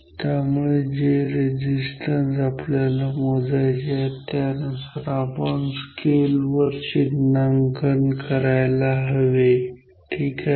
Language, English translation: Marathi, Therefore, depending on the value of the resistance that we want to measure we should alter the markings of this scale ok